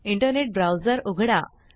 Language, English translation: Marathi, Open your internet browser